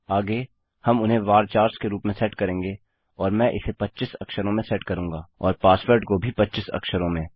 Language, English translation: Hindi, Next well set them as VARCHARs and Ill set this as 25 characters and the password as 25 characters, as well